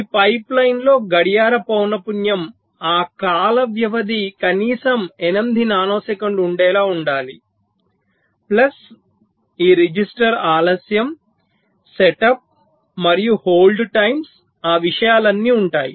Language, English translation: Telugu, so in this pipeline the clock frequency has to be search that the time period should be at least eight nano signals plus of course it register degree set up whole times